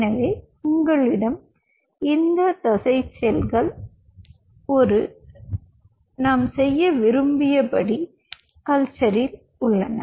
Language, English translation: Tamil, so you have these muscle cells in a culture, and that do we want to do in a culture